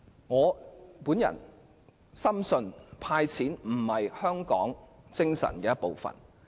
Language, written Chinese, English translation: Cantonese, 我深信"派錢"並不符合香港精神。, I firmly believe that giving cash handouts is inconsistent with the spirit of Hong Kong